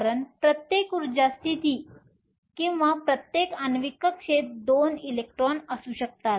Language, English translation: Marathi, because each energy state or each molecular orbital we can have 2 electrons